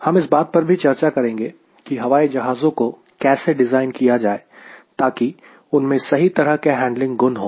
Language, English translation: Hindi, we will be also discussing how to design the aircrafts so that it is having right type of handling qualities